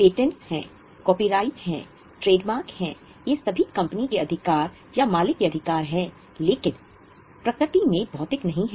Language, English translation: Hindi, There are patents, there are copyrights, there are trademarks, these all are rights of the company or rights of the owner but not of physical in nature